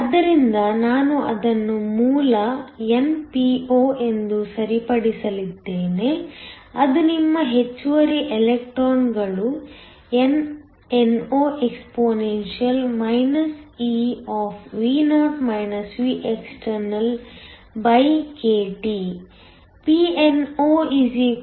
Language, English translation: Kannada, So, I am going to fix that as the origin np0, which is your excess electrons nno exp ekT